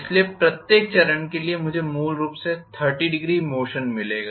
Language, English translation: Hindi, So, for every step I will get basically 30 degree motion